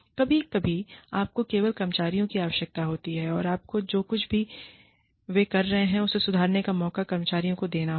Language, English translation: Hindi, Sometimes, you just need the employees to, you need to give the employees, the chance to improve, whatever they are doing